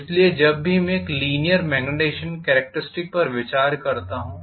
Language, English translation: Hindi, It is still in the linear portion of the magnetization characteristic